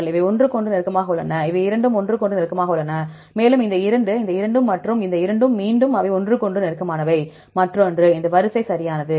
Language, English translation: Tamil, See these two are close to each other, and these two are close to each other, these two are close to each other, these two are close to each other, and these two, these two and these two are again these are close to each other, this line right